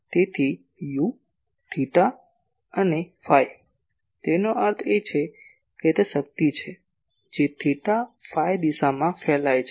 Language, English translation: Gujarati, So, U , theta and phi ; that means, it is the power that is radiating in theta phi direction